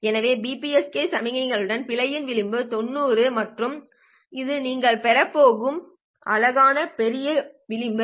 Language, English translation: Tamil, So with BPSK signals, the margin of error is 90 degrees and this is a pretty, pretty large margin that you are going to get